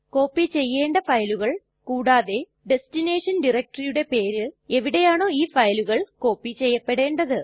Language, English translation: Malayalam, files that we want to copy and the name of the destination DIRECTORY in which these files would be copied